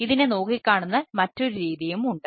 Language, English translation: Malayalam, this is another important way of looking at it